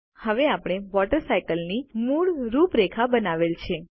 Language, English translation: Gujarati, We have now created the basic outline of the Water Cycle